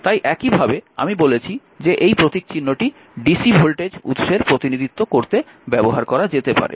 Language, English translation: Bengali, So, that is why the; whatever I said that can be used to represent dc voltage source, but the symbol of this thing can also